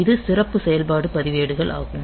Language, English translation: Tamil, So, this special function registers